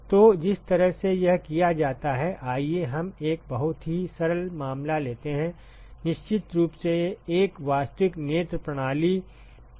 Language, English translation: Hindi, So, the way it is done is let us take a very simple case, of course, a real eye system is not as simple as this